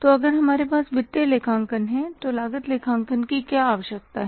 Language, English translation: Hindi, So, if we have the financial accounting what is the need of cost accounting